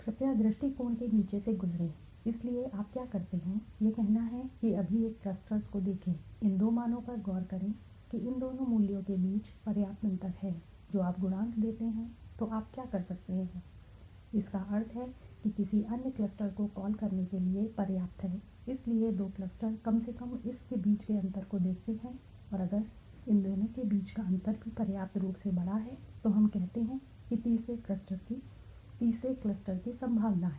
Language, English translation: Hindi, Please go through the bottom of approach, so what you do is this is let say the one clusters right now look at these two suppose there is a substantial difference between these two values the coefficients, then what you can do is you assume that means this is good enough to be call another clusters so there are two clusters at least look at the difference between this and this if the difference between these two is also sufficiently large then we say there is a possibility of third cluster